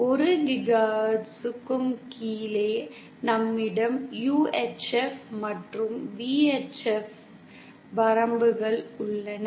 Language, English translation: Tamil, And below 1 GHz, we have the UHF and VHF ranges